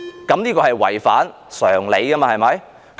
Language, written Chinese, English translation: Cantonese, 這是違反常理的，對嗎？, This is against common sense right?